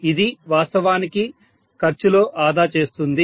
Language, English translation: Telugu, This will actually save on the cost, so less costly